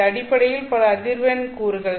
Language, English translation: Tamil, This is a single frequency component